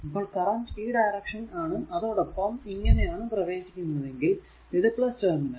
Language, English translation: Malayalam, Because it is this current entering here it is the minus terminal